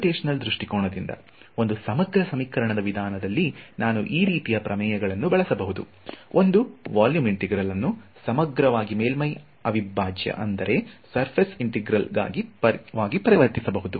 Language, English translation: Kannada, So, from a computational point of view, the advantage is that in an integral equation method what I can use theorems like this, to convert a volume integral into a surface integral